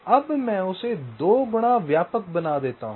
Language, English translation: Hindi, now, what i make, i make it wider, say by two times